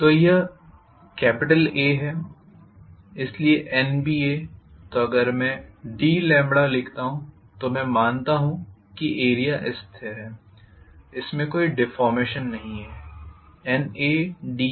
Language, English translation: Hindi, So this is A, so NBA so if I write d lambda if I assume that the area is a constant it is not having any deformation, N A d B